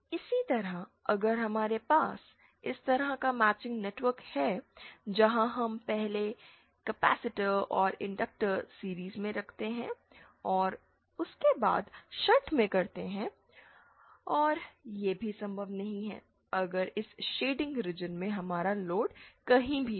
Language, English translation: Hindi, Similarly if we have this kind of matching network where we 1st have inductor in series and capacitor and shunt after that and that is also not possible if we have our load anywhere in this shaded region